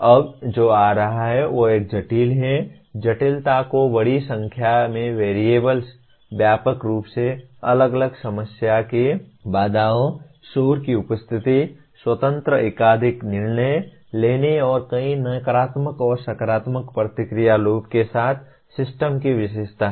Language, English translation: Hindi, Now coming to what is a complex, complexity is characterized by large number of variables, phenomena with widely different time constraints, presence of noise, independent multiple decision making, and or systems with a number of negative and positive feedback loops